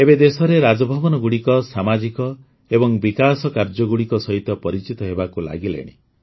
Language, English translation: Odia, Now Raj Bhavans in the country are being identified with social and development work